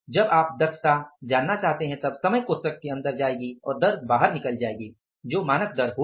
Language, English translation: Hindi, When you want to find out the efficiency, time will go inside the bracket and the rate will come out